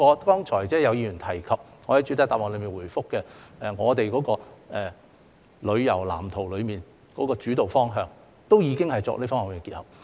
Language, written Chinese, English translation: Cantonese, 剛才有議員提及，我在主體答覆中亦有回覆，我們在《發展藍圖》的主導方向中，已有作出這方面的結合。, As some Members have mentioned earlier which I have also touched upon in the main reply such integration has already been taken as the guiding direction of the Blueprint